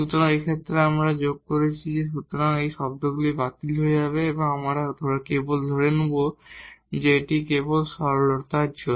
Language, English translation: Bengali, So, in this case when we added here; so, these terms will get canceled and we will get simply assuming that this here is lambda just for simplicity now